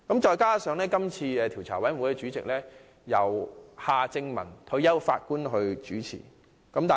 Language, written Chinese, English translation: Cantonese, 再者，這個調查委員會的主席由退休法官夏正民擔任。, In addition the Commission of Inquiry is chaired by Mr Michael John HARTMANN a former Judge